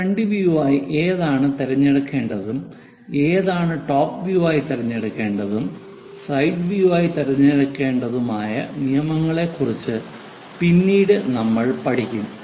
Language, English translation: Malayalam, Later we will learn about their rules which one to be picked as front view, which one to be picked as top view and which one to be picked as side view